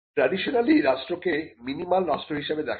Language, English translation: Bengali, Now, traditionally the state is seen as a minimal state